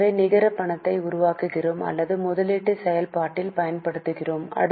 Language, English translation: Tamil, So, we get net cash generated or used in investing activity